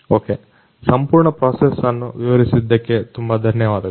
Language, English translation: Kannada, Ok, thank you so much for explaining the entire process